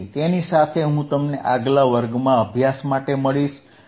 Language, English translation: Gujarati, So, with that, I will see you in the next class